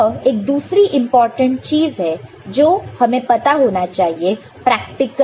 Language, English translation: Hindi, So, this is another important thing that we need to know in the as a practical case